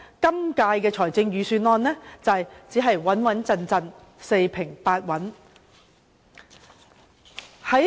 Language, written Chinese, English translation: Cantonese, 因此，今年的預算案只可說是"穩穩陣陣"、四平八穩。, Hence the Budget this year can only be described as stable and steady